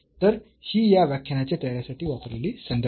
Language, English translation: Marathi, So, these are the references used for the preparation of this lecture